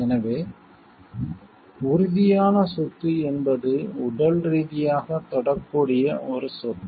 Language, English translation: Tamil, So, tangible property is a property which can be touched physically